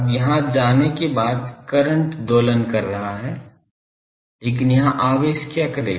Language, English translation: Hindi, Now, after going here the current is oscillating, but what the charges will do here